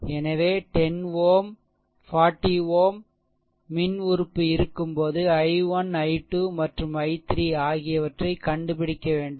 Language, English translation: Tamil, So, 10 ohm 40 ohm because nothing when electrical element is there you have to find out i 1, i 2 and i 3, right